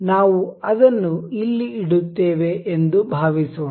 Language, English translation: Kannada, Let us suppose we will place it here